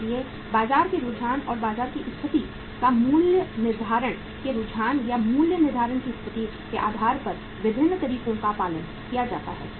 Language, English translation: Hindi, So different methods are followed depending upon the market trends or the market situation or the pricing trends or the pricing situation